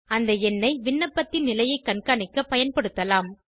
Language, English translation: Tamil, This number can be used for tracking the status of the application